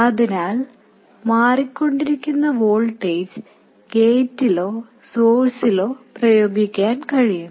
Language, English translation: Malayalam, So, so, the varying voltage can be applied to gate or source